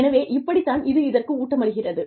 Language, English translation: Tamil, So, this is how, this feeds into this